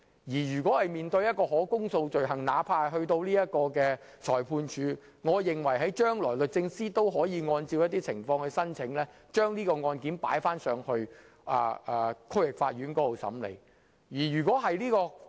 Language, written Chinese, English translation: Cantonese, 我認為就可公訴罪行而言，即使由裁判法院審理，將來律政司亦可按照情況申請將案件轉交區域法院審理。, I think as far as indictable offences are concerned even if they are heard at Magistrates Courts where appropriate DoJ may still make an application to transfer the cases to the District Court for hearing in the future